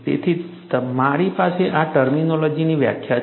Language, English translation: Gujarati, So, I have the definition of these terminologies